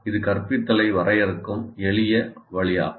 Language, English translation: Tamil, That is a simple way of defining instruction